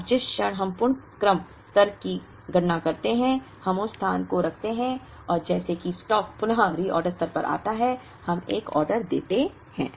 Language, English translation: Hindi, Now, the moment we compute the reorder level, we would place and, as soon as the stock comes to the reorder level, we place an order